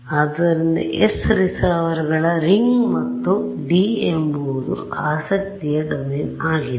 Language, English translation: Kannada, So, S is the ring of receivers and D is the domain of interest ok